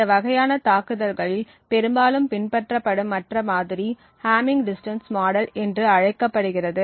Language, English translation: Tamil, The other model that is quite often followed in these kind of attacks is known as the hamming distance model